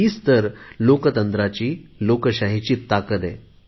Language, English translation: Marathi, This is the real power of democracy